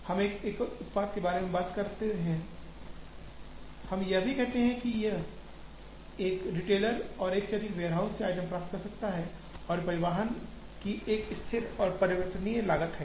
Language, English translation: Hindi, We are talking of a single product, we also say that a retailer can get items from more than one warehouse and there is a fixed and variable cost of transportation